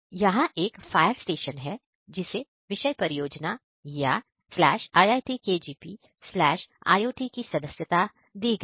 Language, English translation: Hindi, Here is a fire stations which are subscribed the topic project/iitkgp/iot